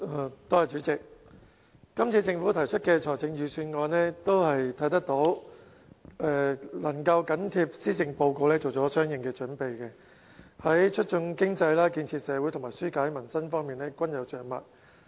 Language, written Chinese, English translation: Cantonese, 我們可以看到，政府這次提出的財政預算案，能夠緊貼施政報告作出相應準備，在促進經濟、建設社會和紓解民生方面均有着墨。, As we have noticed the Budget delivered by the Government this time is able to dovetail with the Policy Address and has introduced measures on promoting the economy taking society forward and alleviating peoples difficulties